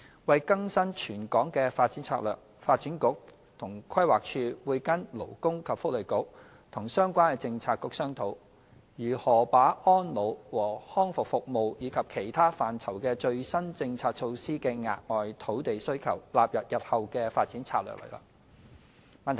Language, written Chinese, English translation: Cantonese, 為更新全港的發展策略，發展局和規劃署會跟勞工及福利局和相關政策局商討，如何把安老和康復服務及其他範疇的最新政策措施的額外土地需求，納入日後的發展策略內。, To update the territorial development strategy for Hong Kong the Development Bureau and PlanD will discuss with the Labour and Welfare Bureau and other relevant Policy Bureaux on how to incorporate additional land requirements arising from the latest policy measures concerning elderly and rehabilitation services as well as other areas in our future development strategies